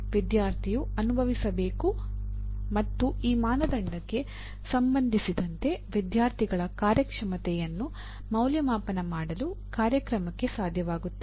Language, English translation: Kannada, Student should experience and the program should be able to evaluate the student performance with regard to this criteria